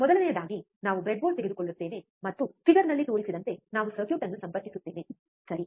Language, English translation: Kannada, First thing is we will take a breadboard and we will connect the circuit as shown in figure, right